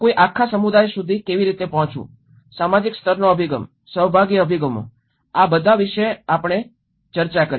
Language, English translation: Gujarati, How to approach a community, the social level approaches, participatory approaches, all these we did discussed about it